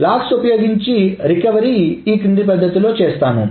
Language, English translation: Telugu, So, the recovery using logs is done in the following manner